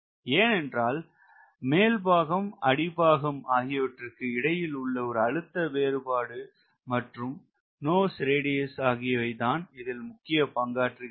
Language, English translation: Tamil, because if the lift is because of differential pressure with the top and the bottom surface, then nose radius should play an important role